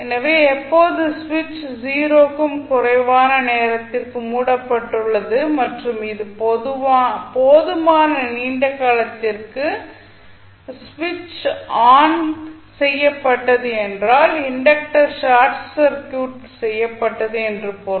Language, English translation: Tamil, So, when switch is closed for time t less than 0 and it was switched on for sufficiently long time it means that the inductor was short circuited